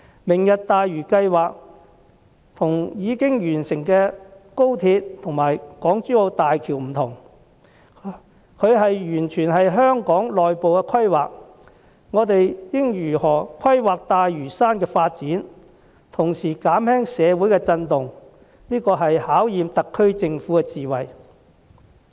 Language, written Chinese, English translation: Cantonese, "明日大嶼"計劃和已經完成的高鐵和港珠澳大橋不同，它完全是香港內部的規劃，我們應如何規劃大嶼山的發展，同時減輕社會的震盪，這是對特區政府智慧的考驗。, Unlike XRL and the Hong Kong - Zhuhai - Macao Bridge this project falls entirely within the realm of our internal planning . How to plan the development of Lantau while minimizing its social repercussions will be a test of the wisdom of the SAR Government